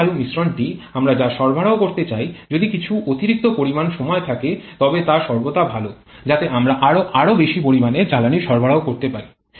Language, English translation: Bengali, The fuel air mixture that we would like to supply there is some additional amount of time is always better so that we can supply more and more amount of fuel